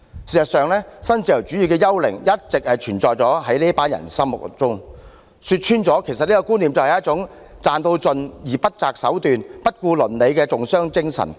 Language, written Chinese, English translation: Cantonese, 事實上，新自由主義的幽靈一直存在於這群人的心中，說穿了，這種觀念是一種為賺到盡而不擇手段、不顧倫理的重商精神。, In fact the spectre of neoliberalism has all along remained in the minds of this group of people . In the final analysis this concept is the mercantilism of making as much money as possible without regard to the means or ethics